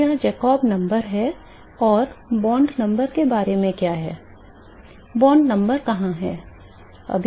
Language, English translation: Hindi, So, this is the Jacob number and what about bond number where is bond number